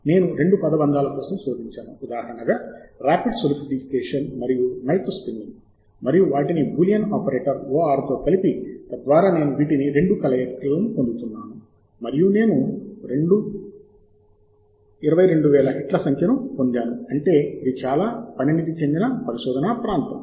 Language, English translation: Telugu, and I have searched, as an example, for two phrases: a rapid solidification and melt spinning, and combined them with a boolean operator or so that I am getting a union of these two and I have obtained number of hits: 22,000, which means that this is a fairly mature area place